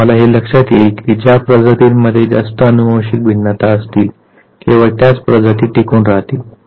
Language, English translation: Marathi, You realized that species which have more and more genetic variations they survive